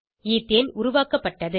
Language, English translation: Tamil, Ethane is formed